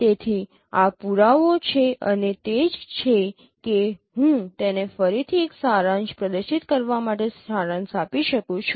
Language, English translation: Gujarati, So this is what is this proof and that is I can summarize once again just to make it a clean display